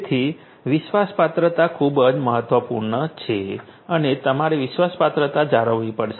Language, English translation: Gujarati, So, trustworthiness is very important and you have to manage the trust worthiness